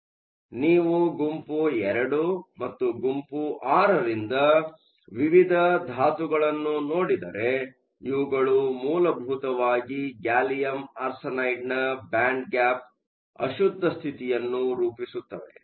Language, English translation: Kannada, So, if you look at the various elements the group II and the group VI elements, these will essentially form impurity states in the band gap of gallium arsenide